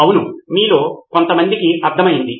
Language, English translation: Telugu, Yes some of you got it